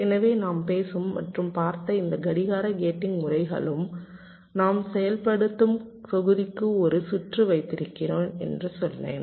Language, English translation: Tamil, so far, whatever clock gating methods we talked about and looked at, we said that, well, i have a circuit of functional block